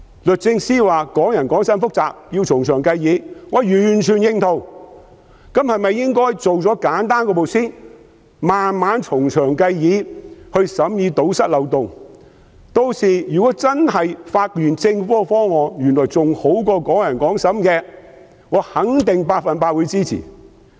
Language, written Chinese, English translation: Cantonese, 律政司司長說"港人港審"很複雜，要從長計議，我完全認同，那麼是否應該先處理簡單的一步，然後再從長計議，堵塞漏洞，屆時如果真的發現政府的方案原來較"港人港審"更好，我肯定百分之一百支持。, The Secretary for Justice said the suggestion that Hongkongers should be tried by Hong Kong courts was very complicated and detailed deliberation was necessary . I fully agree with her view but should the Government not handle the simple issues first and then make further deliberation to plug the loopholes? . If it turns out that the proposal of the Government is more preferable than the suggestion that Hongkongers should be tried by Hong Kong courts I will certainly lend it my full support